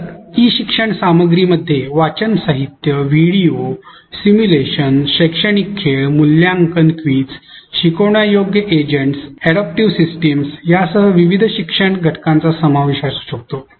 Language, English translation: Marathi, So, the e learning content can comprise of various learning elements including reading materials, videos, simulation, educational games, assessment, quizzes, teachable agents, adaptive systems